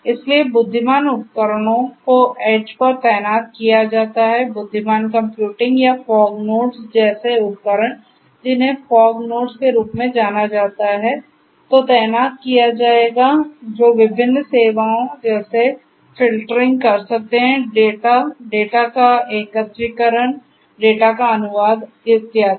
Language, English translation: Hindi, So, intelligent devices are deployed at the edge, intelligent computing or devices such as the fog nodes, which are known as the fog nodes would be would be deployed which can offer different services such as filtering of the data, aggregation of the data, translation of the data and so on